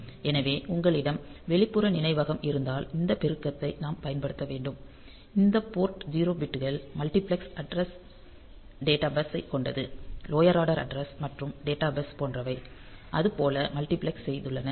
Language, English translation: Tamil, So, if you would have the external memory, then we have to use this multiply so, this port 0 bits for the multiplexed addressed data bus; lower order address and data bus they have multiplexed like that